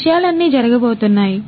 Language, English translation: Telugu, So, all of these things are going to happen